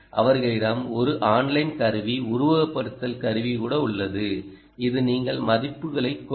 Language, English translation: Tamil, them even have an online tool simulation tool, which is you feed in values and then you will get some ah